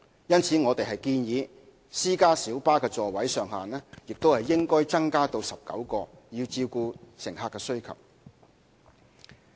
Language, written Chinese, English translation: Cantonese, 因此，我們建議私家小巴的座位上限亦應增加至19個，以照顧乘客需求。, Hence we recommend that the maximum seating capacity of private light buses also be increased to 19 to cater for passenger demand